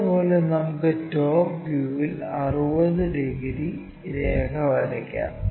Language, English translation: Malayalam, Similarly, let us draw in the top view 60 degrees line